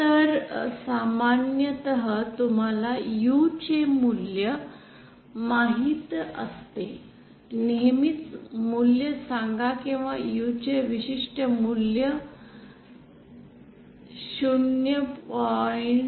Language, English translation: Marathi, So usually you know the value of U say usual value of or particular value of U if it is 0